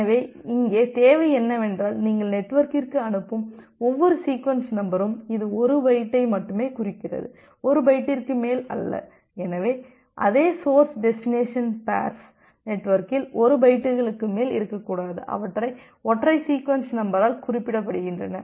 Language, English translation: Tamil, So, the requirement here is that every sequence number that you are sending to the network, it indicates to only a single byte not more than 1 bytes, so there should not be more than 1 bytes in the network for the same source destination pairs which are referenced by a single sequence number